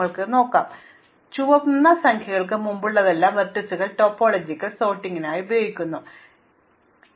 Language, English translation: Malayalam, So, as before the red numbers against the vertices are used for topological sort and they denote the indegrees